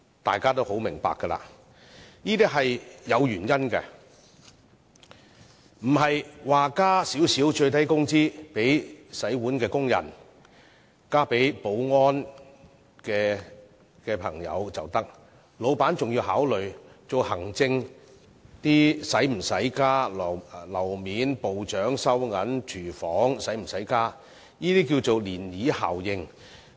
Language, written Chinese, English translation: Cantonese, 大家都很明白箇中的原因，問題不是把洗碗工人或保安員的最低工資提高少許便可以，老闆還要考慮行政人員、樓面員工、部長、收銀員、廚房員工等是否要加薪，這稱為漣漪效應。, Everyone should know the reasons . The point is that proprietors have to consider whether wage increases should be offered to administrative personnel floor staff supervisors cashiers kitchen staff and so on in addition to raising the minimum wage for dishwashing workers or security guards . This is called a ripple effect